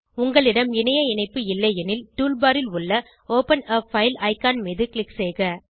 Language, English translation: Tamil, If you are not connected to Internet, then click on Open a File icon on the tool bar